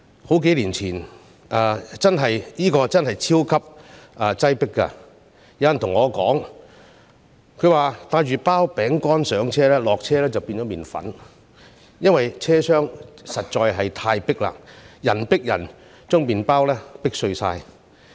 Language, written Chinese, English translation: Cantonese, 這個車站真的超級擠迫，曾有人對我說，如果帶一包餅乾上車，下車時會變成麵粉，因為車廂實在太擠迫，人迫人便把餅乾壓碎了。, It is really overcrowded . Someone once told me that if I had a bag of biscuits with me on the train they would become flour when I got off because the compartments were so crowded that people would crush the biscuits . Officials must consider comprehensively when formulating policies